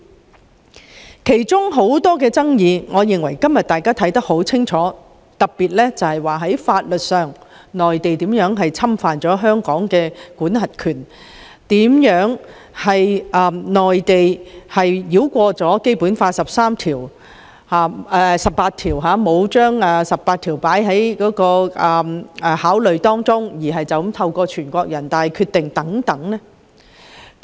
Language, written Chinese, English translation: Cantonese, 我認為當中有很多爭議，今天均已有答案，特別是內地如何在法律上侵犯香港的管轄權，當局如何繞過《基本法》第十八條，不考慮該條文的規定而就此採納全國人大所作決定等問題。, I think answers are already available today to many of these controversies especially such claims as how the Mainland authorities have in the legal sense infringed the jurisdiction of Hong Kong and how the authorities have bypassed Article 18 of the Basic Law paid no heed to its stipulations and simply adopted the decisions of NPCSC